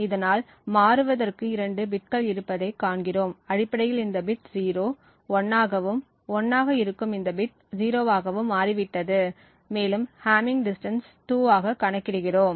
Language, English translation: Tamil, Thus, we see that there are two bits that get toggled, essentially this bit 0 has changed to 1 and this bit which is 1 has changed to 0 and we compute the hamming distance to be 2